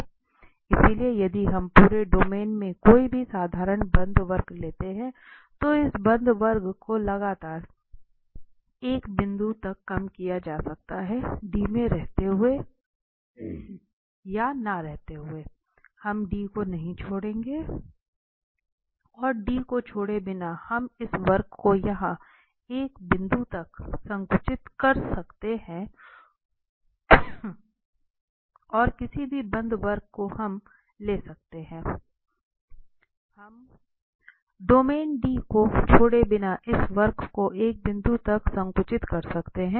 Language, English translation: Hindi, So, if we take any simple closed curve in the whole domain, then this closed curve can be continuously shrunk to a point without or while remaining in D, we will not leave D and without leaving D we can shrink this curve to a point here and any curve we can take any closed curve we can take, we can shrink this curve to a point without leaving the domain D